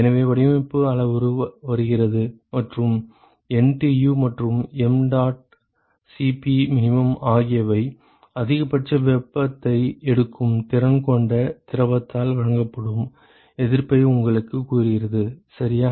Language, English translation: Tamil, So, the design parameter comes in and NTU and mdot Cp min tells you what is the resistance offered by the fluid which is capable of taking maximum possible heat, ok